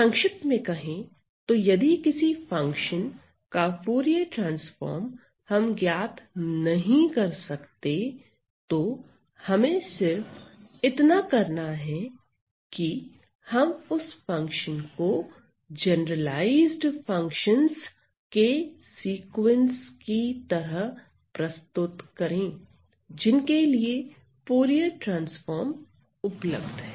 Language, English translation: Hindi, Now, so the long story short if I am not able to evaluate the Fourier transform of a certain function, all I need to do is to represent that function into a sequence of so called generalized functions, for which Fourier transforms are available right